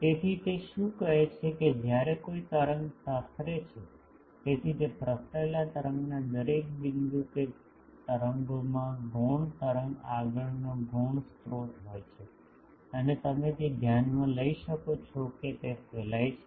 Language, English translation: Gujarati, So, what he says that when a wave propagates, so every point on that propagated wave that waves has a secondary wave front secondary source and that you can consider that that is radiating